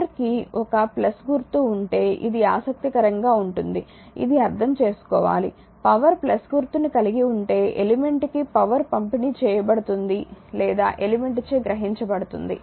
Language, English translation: Telugu, If the power has a plus sign this is this is interesting this you have to understand; if the power has a plus sign power is been delivered to or absorbed by the element